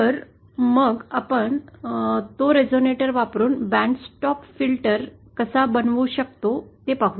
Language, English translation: Marathi, So Let us see how we can make a band stop filter using that resonator